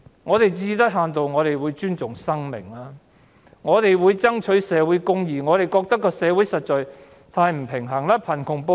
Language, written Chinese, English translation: Cantonese, 我們最低限度會尊重生命和爭取社會公義，我們認為社會實在太失衡。, We would at least show respect for life and strive for social justice . We think that our society is actually way too unbalanced